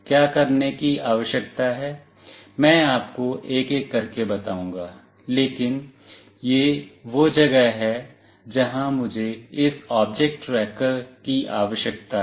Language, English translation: Hindi, What is required to be done, I will tell you one by one, but this is where I need this object tracker